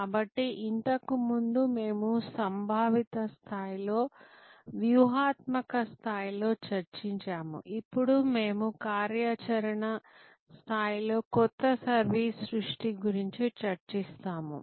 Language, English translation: Telugu, So, earlier we were discussing at conceptual level, strategic level, now we will discuss new service creation at an operational level